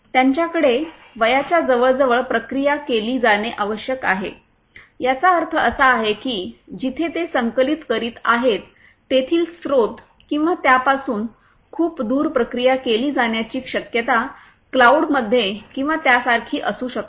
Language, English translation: Marathi, They have to be processed close to the age, that means, the source from where they are being collected or they have to be processed you know far away from it may be in a cloud or somewhere like that